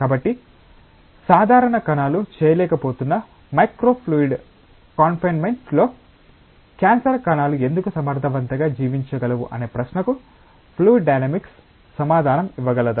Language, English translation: Telugu, So, can fluid dynamics give an answer to this question that why cancer cells can survive effectively in a micro fluidic confinement, where the normal cells are not able to do